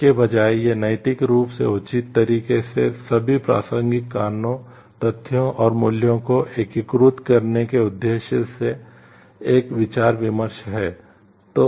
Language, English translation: Hindi, Instead it is a deliberation aimed at integrating all the relevant reasons, facts and values in morally reasonable manner